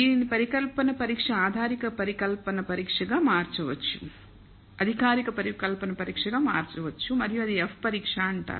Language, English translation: Telugu, This can be converted into hypothesis test formal hypothesis test and that is what is called the F test